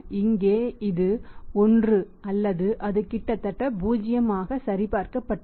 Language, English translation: Tamil, Is here it is 1 or it is almost 0 so verified